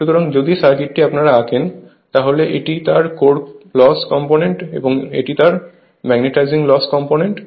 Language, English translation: Bengali, So, if you draw the circuit; if you draw the circuit so, this is your what you call my this is core loss component and this is my magnetising loss component right